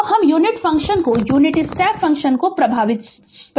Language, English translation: Hindi, So, this we will define the unit function your what you call the unit step function